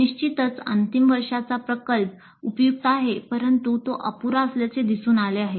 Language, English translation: Marathi, Certainly final project is helpful, but it is found to be inadequate